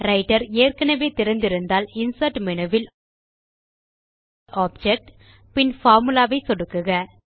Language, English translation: Tamil, If Writer is already open, then click on the Insert menu at the top and then click on Object and choose Formula